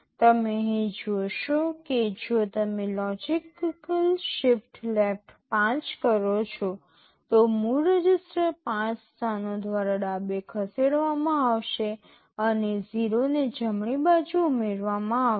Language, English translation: Gujarati, You see here if you say logical shift left 5, the original register will be shifted left by 5 positions and 0’s will be added on the right